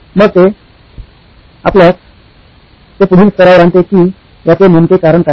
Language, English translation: Marathi, So it brings us to the next level of why reasoning